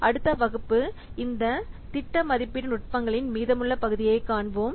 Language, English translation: Tamil, Next class, we will see the remaining parts of this project estimation techniques